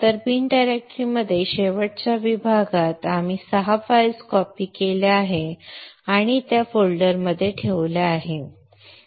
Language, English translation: Marathi, So in the bin directory in the last session we had copied six files and put put it into this folder from the resources